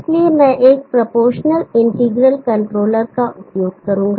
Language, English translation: Hindi, So I will use the proportional integral controller